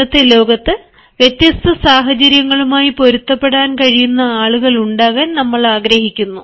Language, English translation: Malayalam, in the present day world, we actually look forward to having people who can adapt themselves to differing situations, who can adapt themselves to different situations